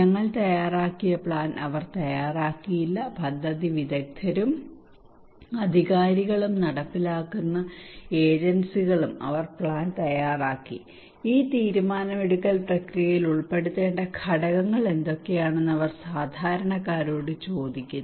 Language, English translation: Malayalam, They did not prepare the plan we prepared the plan experts, authorities, implementing agencies they prepared the plan, and they are asking common people that what are the gaps there what are the components to be incorporated into this decision making process